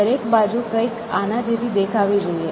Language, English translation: Gujarati, So, every space should looks something like this